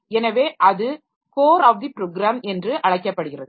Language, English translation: Tamil, So, that is called the core of the program